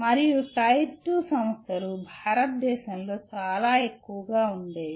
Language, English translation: Telugu, And Tier 2 institutions which are very large in number in India